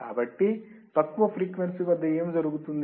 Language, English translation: Telugu, So, what will happen for low frequency